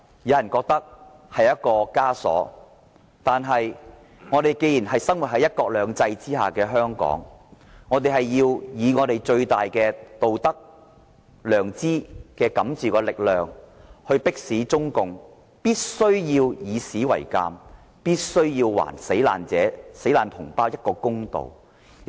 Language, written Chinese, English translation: Cantonese, 有人覺得這是一個枷鎖，但我們既然生活在"一國兩制"下的香港，便要以最大的道德、良知感召的力量，迫使中共以史為鑒，並且還死難同胞一個公道。, Some find it a burden but since we live in Hong Kong under one country two systems we must with the greatest moral courage and strength force CPC to face up to history and do justice to the compatriots who were killed in the incident